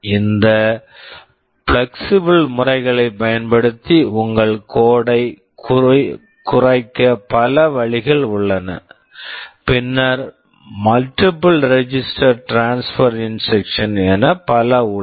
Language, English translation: Tamil, There are many ways in which you can make your code shorter by taking advantage of these flexible methods, then the multiple register transfer instructions, and so on